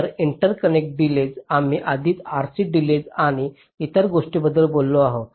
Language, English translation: Marathi, so the interconnect delays we have already talked about the r c delays and other things